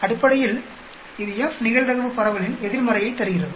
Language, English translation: Tamil, Basically, it gives you the inverse of the F probability distribution